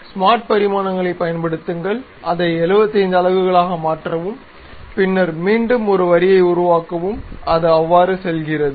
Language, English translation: Tamil, Use smart dimensions, make it 75 units, then again construct a line, goes there